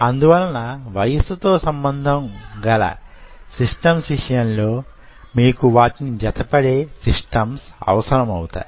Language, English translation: Telugu, so for age related systems you needed something which is age related, matching systems